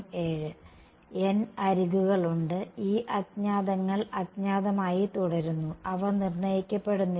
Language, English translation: Malayalam, Has n edges and those unknowns continue to be unknown they are not determined